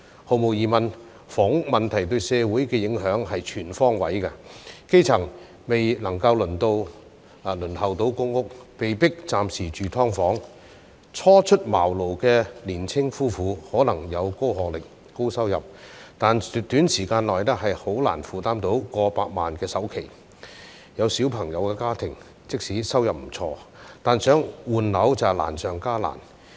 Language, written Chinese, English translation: Cantonese, 毫無疑問，房屋問題對社會的影響是全方位的，基層未能夠輪候到公屋，被迫暫時住"劏房"；初出茅廬的年青夫婦，可能有高學歷、高收入，但短時間內難以負擔到過百萬元的首期；有小朋友的家庭，即使收入不錯，但想換樓卻難上加難。, There is no doubt that the housing problem has exerted impact on society in every respect . The grass roots who are still waiting to be allocated public housing are forced to live in subdivided units in the interim; fledgling young couples though probably highly educated and have high income can hardly afford a down payment of over a million dollars within a short period of time; families with children find it much more difficult to switch homes despite earning good income